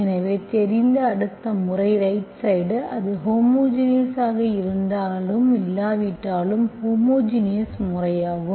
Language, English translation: Tamil, So next method you know is the homogeneous method where the right hand side, if it is a homogeneous or not